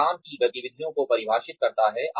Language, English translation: Hindi, It defines work activities